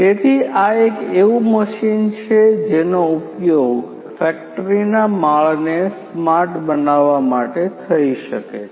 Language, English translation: Gujarati, So, this is one such machine which could be used to make the factory floors smart